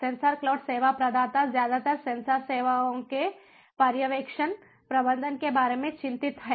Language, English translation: Hindi, sensor cloud service provider is mostly concerned about the supervision, the management of the sensor services